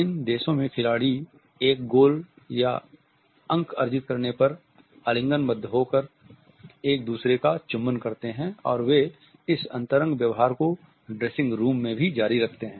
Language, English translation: Hindi, In these countries sportsmen of an embrace and kiss each other after a goal has been scored and they continue this intimate behavior even in the dressing room